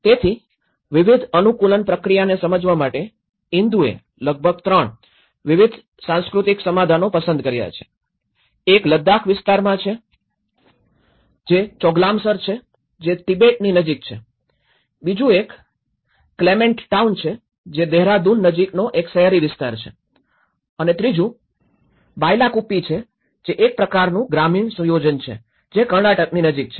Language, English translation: Gujarati, So, in order to understand different adaptation process Indu have selected about 3 different culturally diverse settlements, one is in Ladakh area, it is a Choglamsar which is close to the Tibet, the second one is a Clement town which is in a kind of urban locality near Dehradun and the third one is a kind of rural setup which is a Bylakuppe where it is near Karnataka